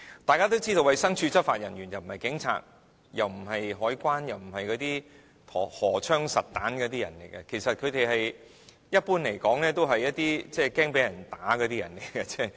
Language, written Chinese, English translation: Cantonese, 眾所周知，衞生署執法人員既不是警察，也不是海關，更不是荷槍實彈的人員，一般來說，他們其實都是一些害怕被人毆打的人。, Everyone knows that DH staff are not police officers or customs officers . They are not even forces equipped with firearms . Generally speaking they are actually people who fear being roughed up